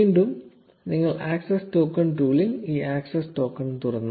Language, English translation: Malayalam, Again if you open this access token in the access token tool